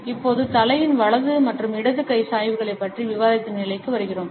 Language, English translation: Tamil, And now, we come to the point of discussing our right and left handed tilts of the head